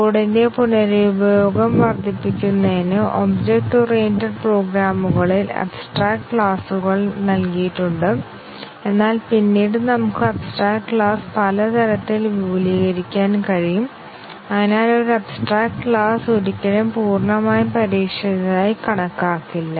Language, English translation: Malayalam, The abstract classes provided in object oriented programs to help increase reuse of code, but then we can extend abstract class in many ways and therefore, an abstract class may never be considered as fully tested